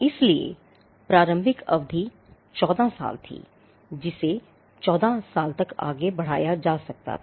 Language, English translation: Hindi, So, the initial term was 14 years which could be extended to another 14 years